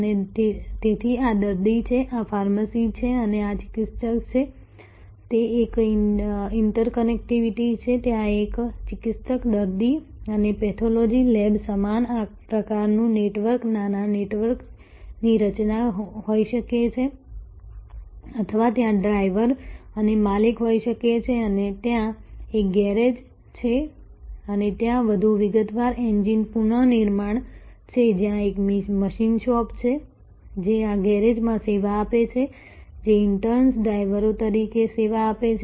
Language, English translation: Gujarati, And, so this is the patient this is the pharmacy and this is the therapist and that there is an interactivity, there could be like a physician patient and pathology lab similar type of network small network formation or there can be a driver or an owner and there is a garage and there is a more detail are more exhaustive engine rebuilding, where there is a machine shop, which serves this garage, which interns serves as drivers